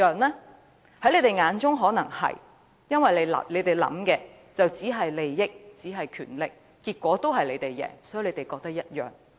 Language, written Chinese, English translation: Cantonese, 在他們眼中可能是，因為他們想到的只有利益和權力，所以便認為結果一樣。, It might well be in their eyes because all they can see are benefits and power . Hence they think the result is just the same